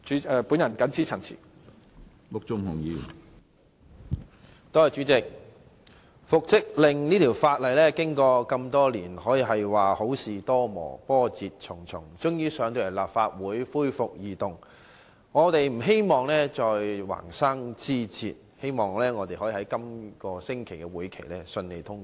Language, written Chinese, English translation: Cantonese, 主席，關乎復職令的《2017年僱傭條例草案》經歷多年，可說是好事多磨，波折重重，終於提交立法會恢復二讀，我們不希望再橫生枝節，希望《條例草案》在本星期的立法會會議上順利通過。, President as good things take time the Employment Amendment Bill 2017 the Bill concerning the order for reinstatement has ultimately been tabled in the Legislative Council for resumption of Second Reading after years of twists and turns . We hope that no further obstacles will arise and the Bill will be passed smoothly at the Legislative Council meeting this week